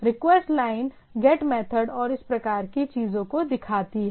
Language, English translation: Hindi, The request line shows the method get and thing